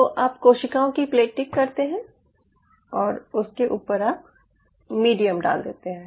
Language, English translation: Hindi, you played the cells and on top of it you put the medium